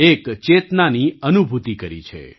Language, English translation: Gujarati, There has been a sense of realisation